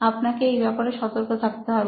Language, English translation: Bengali, You do have to be alarmed about that